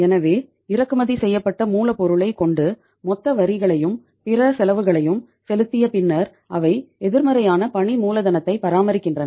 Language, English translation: Tamil, So after having the imported raw material and then paying the total taxes and other costs they are maintaining a negative working capital